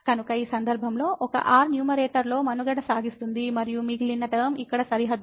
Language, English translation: Telugu, So, in this case the 1 will survive in the numerator and the rest term here is bounded